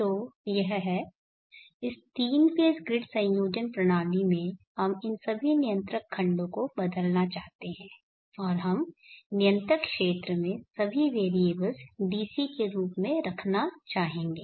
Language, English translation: Hindi, So this in this 3 phase grid connection system we would like to replace all these control blocks and we would like to have all the variables in the control, controller region as DC